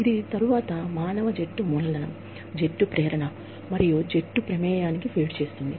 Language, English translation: Telugu, This then, feeds into team human capital, team motivation states, and team involvement